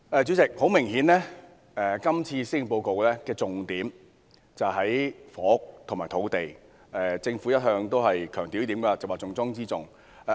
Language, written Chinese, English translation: Cantonese, 主席，很明顯，今年施政報告的重點在於房屋和土地，政府一向強調有關事宜是重中之重。, President obviously the Policy Address this year places emphasis on housing and land and the Government has all along stressed that the issue is a top priority